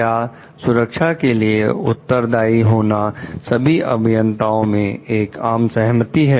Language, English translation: Hindi, Is there a consensus on the responsibility of safety amongst engineers